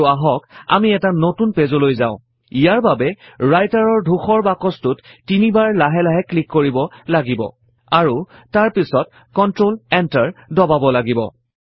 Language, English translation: Assamese, And let us go to a new page by clicking three times slowly outside the Writer gray box And then press Control Enter